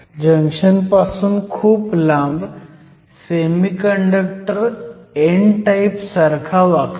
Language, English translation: Marathi, This is a metal, far away from the junction the semiconductor behaves like an n type